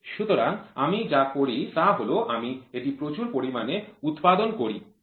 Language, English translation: Bengali, So, all I do is I produce it in bulk